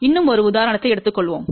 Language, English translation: Tamil, Let us take a one more example